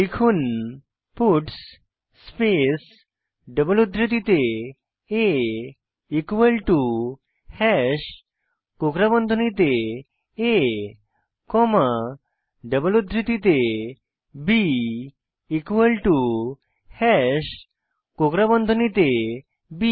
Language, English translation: Bengali, Type puts space within double quotes a equal to hash within curly brackets a comma within double quotes b equal to hash within curly brackets b Press Enter